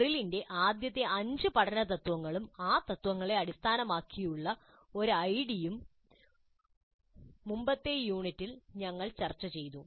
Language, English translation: Malayalam, And we discussed Merrill's five first principles of learning and an ID based on those principles in an earlier unit